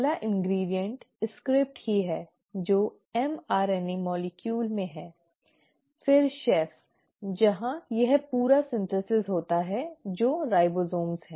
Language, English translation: Hindi, The first ingredient is the script itself which is in the mRNA molecule, then the chef where this entire synthesis happens which are the ribosomes